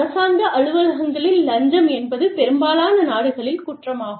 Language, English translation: Tamil, In government offices, bribery is an offence, in most countries